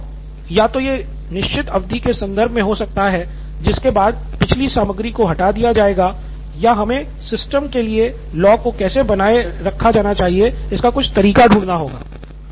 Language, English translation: Hindi, So the log could either be in terms of a certain period of time after which previous content is removed or we should find or figure out some way of how the log should be maintained for the system